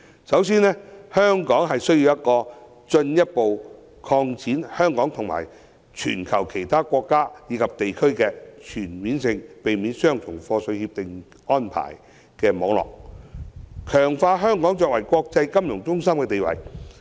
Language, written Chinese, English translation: Cantonese, 首先，香港需進一步擴展與全球其他國家及地區的全面性協定網絡，強化香港的國際金融中心地位。, For one thing it is necessary for Hong Kong to expand its CDTA network with other countries and regions in the world and to strengthen its position as an international financial centre